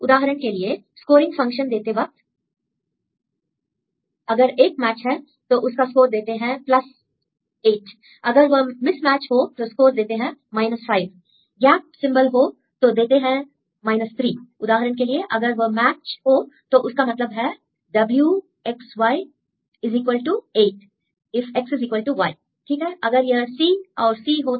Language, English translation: Hindi, If you give a scoring function if it is a match then we give a score of +8 and if it is a mismatch we give 5 and gap symbol we will give 3; for example, if it is the match means weight of x, y equal to 8 if x equal to y right if this is a C and then the C